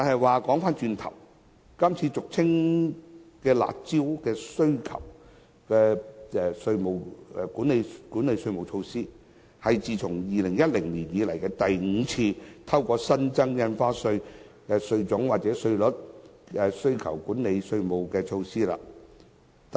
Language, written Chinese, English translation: Cantonese, 話說回頭，今次俗稱"辣招"的需求管理措施，是政府自2010年以來第五次透過增設不同類別的印花稅或上調稅率，以遏抑樓價。, Coming back to the subject the current demand - side management measure commonly known as curb measure is the fifth round of measures taken by the Government since 2010 to suppress property prices through the introduction of different types of stamp duty or the upward adjustment of the duty rates